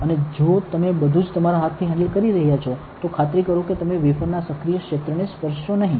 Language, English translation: Gujarati, And if at all you are handling with your hand make sure that you do not touch the active area of the wafer